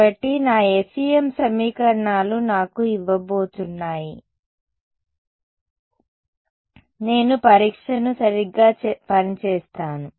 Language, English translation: Telugu, So, my FEM equations are going to give me I am going to choose a testing function right